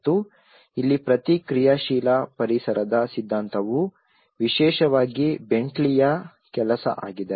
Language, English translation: Kannada, And here the theory of responsive environments especially the BentleyÃs work